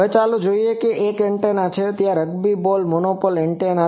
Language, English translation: Gujarati, Now, let us say one of the antenna rugby ball monopole antenna